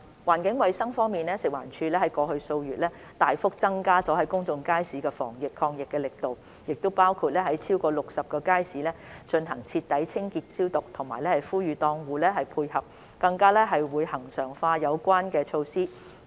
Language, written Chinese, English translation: Cantonese, 環境衞生方面，食環署在過去數月大幅增加了公眾街市的防疫抗疫力度，包括在超過60個街市進行徹底清潔消毒，並呼籲檔戶配合，更會將有關措施恆常化。, On environmental hygiene FEHD has significantly stepped up its anti - epidemic efforts in public markets in the past few months including conducting thorough cleaning and disinfection in over 60 markets and soliciting market tenants cooperation . This arrangement will be regularized